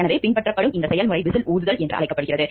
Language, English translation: Tamil, So, this the process that is followed is called whistle blowing